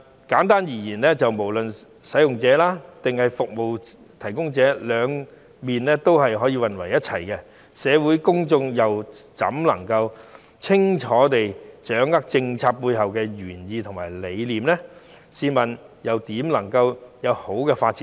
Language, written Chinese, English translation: Cantonese, 簡單而言，不論是使用者或服務提供者，都涉及兩方面的服務，社會公眾又怎能夠清楚地掌握政策背後的原意和理念，試問政策又怎會有良好發展呢？, In brief no matter service users or service providers they are also involved in both sides of the services . In that case how can the community clearly grasp the original intention and concept behind the policy and how can the policy develop nicely?